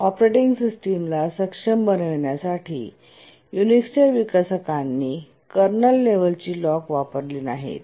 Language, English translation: Marathi, The developers of the Unix to make the operating system efficient did not use kernel level locks